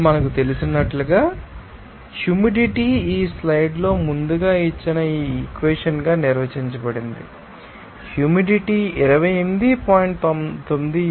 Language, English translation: Telugu, Now, as we know that, humidity is defined as this equation given earlier also in the slide that humidity will be equal to 18